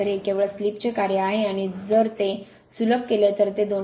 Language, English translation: Marathi, So, it is a function of slip only and if you simplify it will be 2